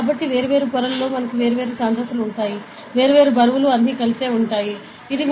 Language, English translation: Telugu, So, at different layers we will have different densities, different weights all sum up to finally, this